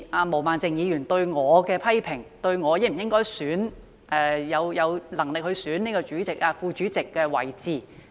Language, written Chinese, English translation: Cantonese, 毛孟靜議員曾對我作出批評，質疑我有否能力及應否競選事務委員會副主席。, Ms Claudia MO criticized me queried my working ability and questioned whether I should stand for election as Deputy Chairman of the Panel